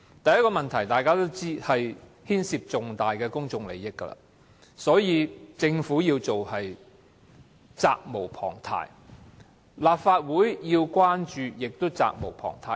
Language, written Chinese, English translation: Cantonese, 第一個問題，大家都知道，是此事牽涉重大公眾利益，所以政府展開調查實屬責無旁貸，而立法會要關注也是責無旁貸的。, The first question as we all know is that great public interest is involved in the incident . Therefore while the Government is duty - bound to conduct an investigation the Legislative Council is also obliged to show concern for the incident